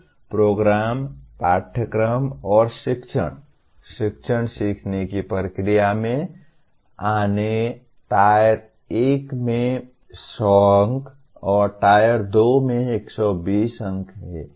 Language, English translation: Hindi, Now coming to program, curriculum and teaching, teaching learning processes, Tier 1 carries 100 marks and Tier 2 carries 120 marks